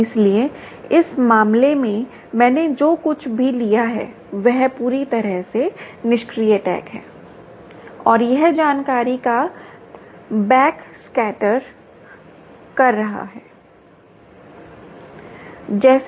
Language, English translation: Hindi, so here, in this case, what i have taken is a completely passive tag and its doing a back scatter of the information